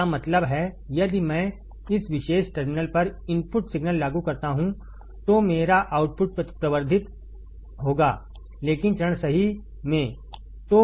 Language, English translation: Hindi, That means, if I apply an input signal at this particular terminal right my output will be amplified, but in phase right